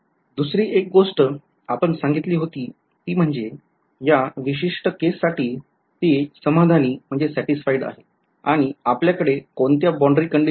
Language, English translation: Marathi, The other thing that we said is that it satisfied in this particular case, what kind of boundary conditions that we have